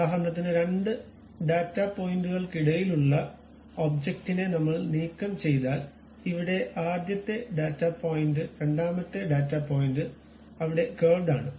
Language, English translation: Malayalam, If I just do that it removes that object which is in between those two data points for example, here first data point second data point is there curve is there